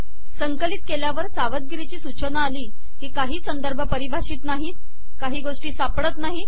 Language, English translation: Marathi, On compilation, we get the warning message that there are some undefined references, some citations are missing